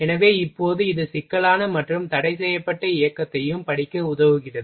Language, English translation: Tamil, So, now it helps in studying the complex and restricted motion also ok